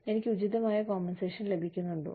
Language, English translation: Malayalam, Am I being compensated, appropriately